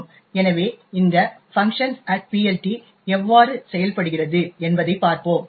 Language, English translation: Tamil, So, let us see how this function at PLT actually works